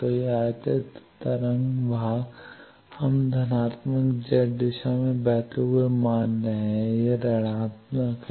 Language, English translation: Hindi, So, that incident wave part we are assuming flowing in the positive Z direction, this minus